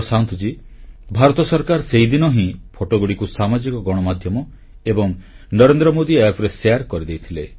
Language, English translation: Odia, Prashant ji, the Government of India has already done that on social media and the Narendra Modi App, beginning that very day